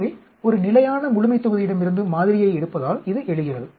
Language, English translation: Tamil, So, it arises, because of sampling from a fixed population